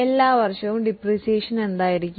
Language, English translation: Malayalam, What will be the depreciation every year